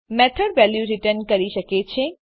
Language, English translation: Gujarati, A method can return a value